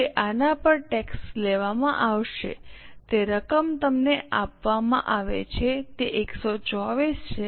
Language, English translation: Gujarati, Now on this the tax will be charged, amount is given to you it is 1